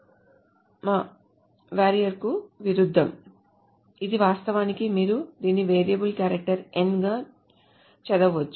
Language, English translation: Telugu, As opposed to a var char, so this is actually you can read it as variable character n